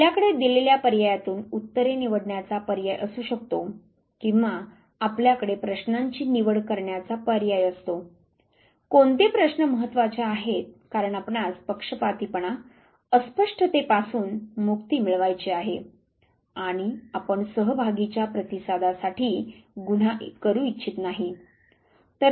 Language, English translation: Marathi, You could have choice of answers from given alternatives or you have the choice of question which is important because you want to take get rid of biases ambiguity and you do not want to commit offense to respondent to participant